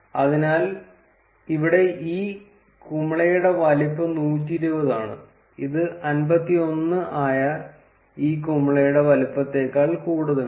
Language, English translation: Malayalam, So, here the size of this bubble is 120, which is greater than the size for this bubble which is 51